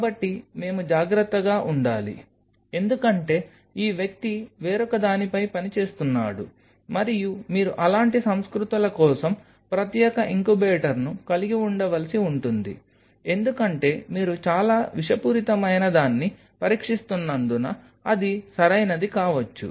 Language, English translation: Telugu, So, we have to be careful because this individual is working on something else and you have to may prefer to have a separate incubator for those kinds of cultures because you do not know because you are testing something very toxic it may make up with something right